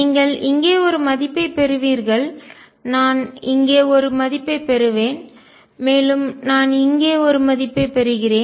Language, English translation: Tamil, And you get a value here, I will get a value here, I get a value here and so on